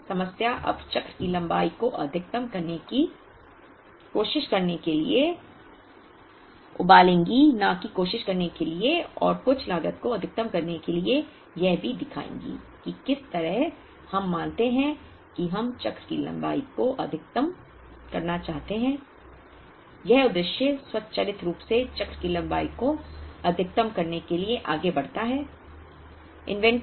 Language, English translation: Hindi, So, the problem will now boil down to trying to maximize the cycle length, not to try and maximize the total cost will also show how the moment we assume that we want to maximize the cycle length this objective automatically moves to maximizing the cycle length